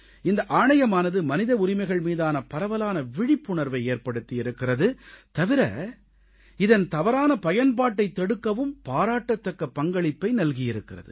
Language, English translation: Tamil, NHRC has instilled widespread awareness of human rights and has played an important role in preventing their misuse